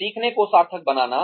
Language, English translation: Hindi, Making the learning meaningful